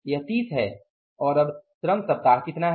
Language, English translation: Hindi, And what is now the labor weeks